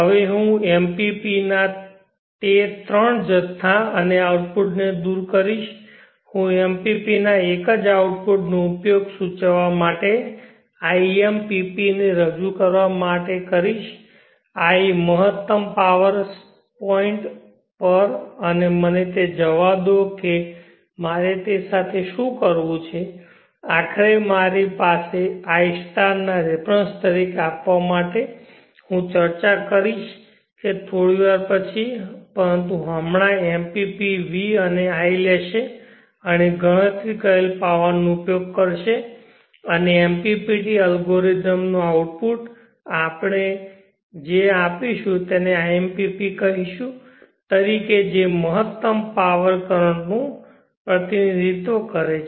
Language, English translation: Gujarati, So this is the control principle that we use, now I will remove those three quantities and output of the MPP I will use a single output of the MPP to indicate to represent iMPP I at maximum power point and let me see what I have to do with that ultimately I have to give it as a references to id* I will discuss that a bit later but right now the MPP will taking vd and id and use the power calculated to and the MPPT algorithm to give out an output which we will call it as iMPP which represents the current at maximum power